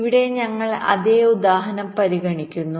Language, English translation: Malayalam, ok, here, ah, we consider same example